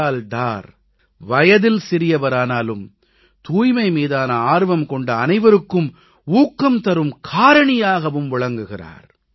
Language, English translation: Tamil, Bilal is very young age wise but is a source of inspiration for all of us who are interested in cleanliness